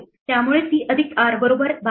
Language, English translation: Marathi, So, c plus r is equal to 12